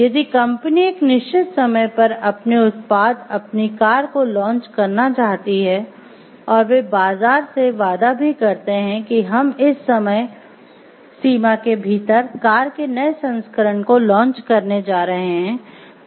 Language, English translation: Hindi, Then they will not be able to meet their target if they want to launch their product, their car at a certain point of time if they promise the market that we are going to launch the new version of the car within this time frame